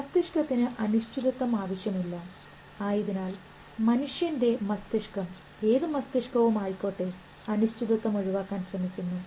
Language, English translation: Malayalam, Because brain does not want uncertainty and a human brain or any brain for the mind does not like ambiguity